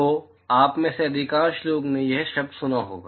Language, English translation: Hindi, So, most of you would have heard this term